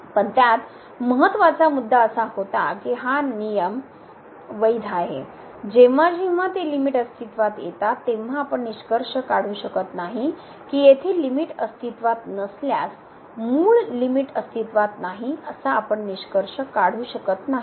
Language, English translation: Marathi, But that important point was that these rule is valid when, when those limits exist we cannot conclude if those limits here of the derivatives do not exists then we cannot conclude that the original limit does not exist